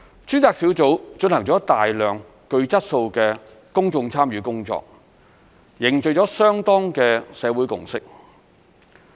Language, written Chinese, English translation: Cantonese, 專責小組進行了大量具質素的公眾參與工作，凝聚了相當的社會共識。, The Task Force has carried out a lot of quality public engagement work and forged broad consensus in society